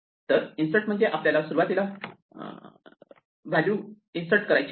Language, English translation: Marathi, So, by insert we mean that we want to put a value at the beginning